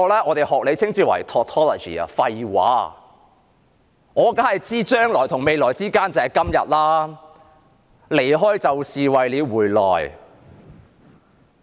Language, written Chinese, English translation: Cantonese, 我當然明白"將來與未來之間......就是今天"、"離開就是為了回來"。, I certainly understand things like between tomorrow and future is today leaving is for returning